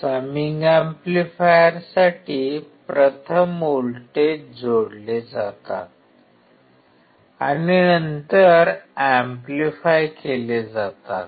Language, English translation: Marathi, For summation amplifier, first voltages are added and then amplified